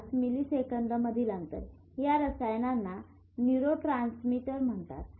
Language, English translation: Marathi, 5 milliseconds but these chemicals are called neurotransmitters